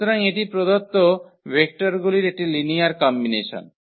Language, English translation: Bengali, So, that is a linear combination of these given vectors